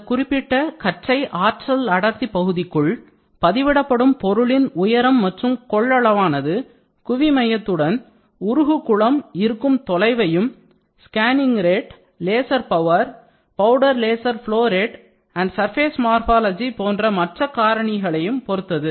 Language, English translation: Tamil, Within this critical beam energy density region the height and the volume of the deposited melt pool is dependent upon melt pool location with respect to the focal plane, scanning rate, laser power, powder laser flow rate and surface morphology